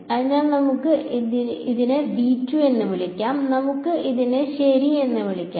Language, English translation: Malayalam, So, let us call this V 1 let us call this V 2 ok